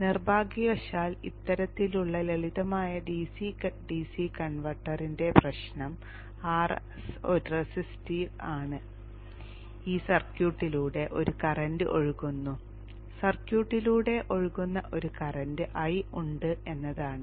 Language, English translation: Malayalam, Unfortunately the problem with this type of simple DC DC converter is that RS is resistive, there is a current flowing through this circuit